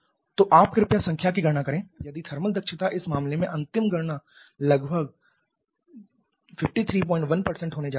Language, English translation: Hindi, So, you please calculate the number the if thermal efficiency the final calculation in this case is going to be 53